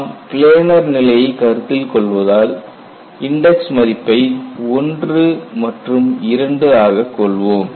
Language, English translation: Tamil, Since we are considering a planar situation, you will have the first index 1 and second index as 2